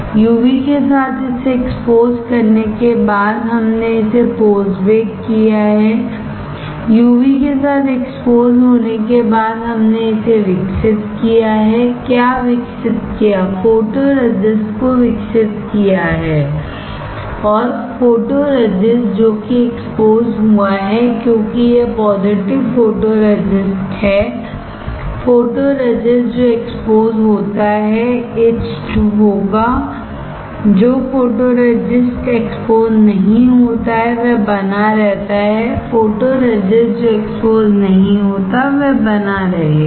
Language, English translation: Hindi, After exposing it with the UV we have post bake it; we have after you are exposing with UV we have developed it develop what develop photoresist, and the photoresist which were exposed because it is positive photoresist; the photoresist which all which is exposed will be etched, the photoresist which is not exposed will remain; the photoresist which is not exposed will remain, alright